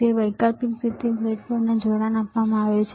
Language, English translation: Gujarati, So, alternatively there is a connection given to this breadboard